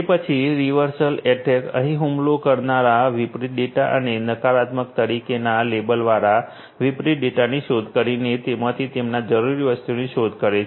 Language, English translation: Gujarati, Then, reversal attack; here, the attacker searches the reverse data and object they need by searching for the opposite data that is labeled as negative